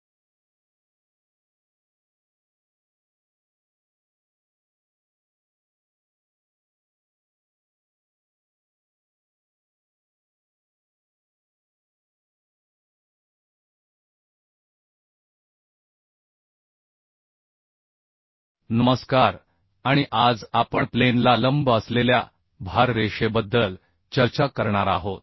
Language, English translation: Marathi, Hello, and today we are going to discuss about the load line perpendicular to the plane of bolted joint